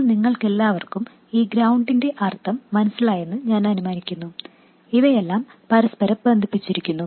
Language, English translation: Malayalam, By the way, I will assume that all of you understand the meaning of this ground, all of these are connected together